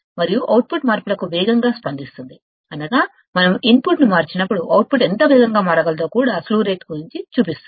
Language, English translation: Telugu, And output responds faster to the changes, that means, slew rate also shows that how fast the output can change ,when we change the input